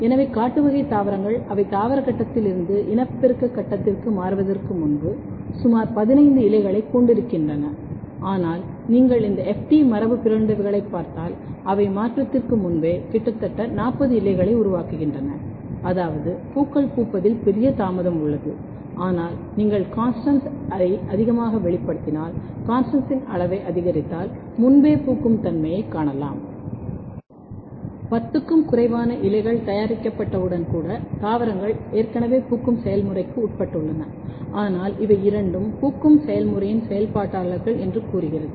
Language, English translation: Tamil, So, wild type plants they have usually approximately 15 leaf before they make 15 rosette leaves before they transit from vegetative phase to reproductive phase, but if you look this ft mutants, they are making almost 40 leaves before the transition which means that there is a huge delay in the flowering, but if you if you over express CONSTANST if you increase the amount of CONSTANST, you can see that there is early flowering